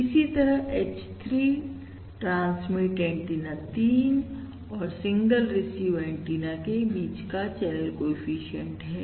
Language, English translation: Hindi, Similarly, H3 is the channel coefficient between transmit antenna 3 and the single receive antenna